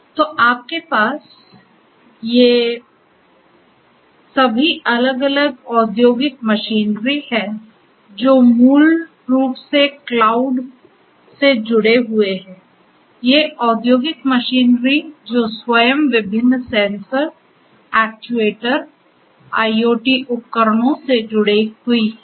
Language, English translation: Hindi, So, you have all these different industrial machinery that are basically connected to the cloud, these industrial machinery they themselves are attached to different sensors, actuators, IoT devices overall and so on